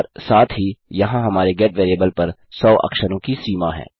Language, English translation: Hindi, And also there is a hundred character limit on our GET variable